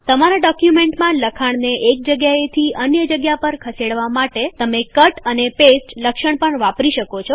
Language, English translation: Gujarati, You can also use the Cut and paste feature in order to move a text from one place to another in a document